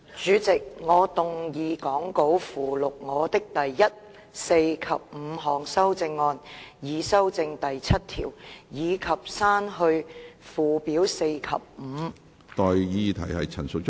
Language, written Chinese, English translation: Cantonese, 主席，我動議講稿附錄我的第一、四及五項修正案，以修正第7條，以及刪去附表4及5。, Chairman I move my first fourth and fifth amendments to amend clause 7 and delete Schedules 4 and 5 as set out in the Appendix to the Script